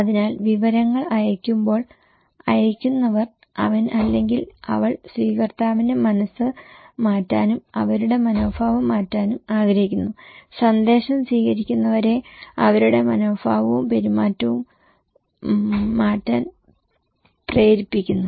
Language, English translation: Malayalam, So, senders when sending the informations, he wants, he or she wants to change the mind of the receiver and changing their attitude to persuade the receivers of the message to change their attitude and their behaviour with respect to specific cause or class of a risk